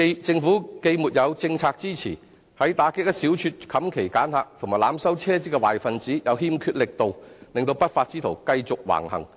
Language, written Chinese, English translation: Cantonese, 政府既沒有政策支持，在打擊一小撮"冚旗揀客"及濫收車資的壞分子方面又欠缺力度，令不法之徒繼續橫行。, Owing to the lack of policy support and efforts from the Government in cracking down on the malpractices of refusing hire or selecting passengers and overcharging taxi fares by a small group of unscrupulous drivers the black sheep just keep on affecting the trade